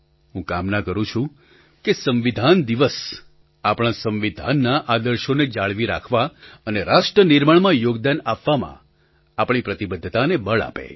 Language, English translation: Gujarati, I pray that the 'Constitution Day' reinforces our obligation towards upholding the constitutional ideals and values thus contributing to nation building